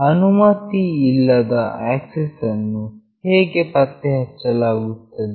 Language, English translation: Kannada, How is unauthorized access detected